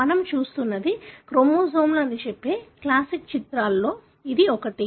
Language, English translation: Telugu, This is one of the classic images that would tell you that what you are looking at are chromosomes